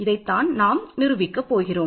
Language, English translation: Tamil, So, this is what we want to prove